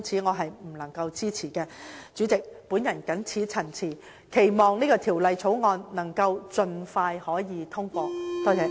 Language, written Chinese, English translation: Cantonese, 代理主席，我謹此陳辭，期望《條例草案》能盡快獲得通過。, With these remarks Deputy President I hope that the Bill can be passed expeditiously